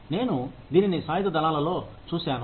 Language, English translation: Telugu, I have seen this in the armed forces